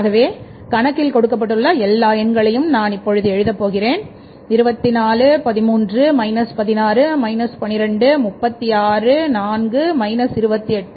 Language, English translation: Tamil, It is 24, X is 24, then it is 13, it is minus 16, then it is minus 12, then it is 36 and then it is 4 and it is 28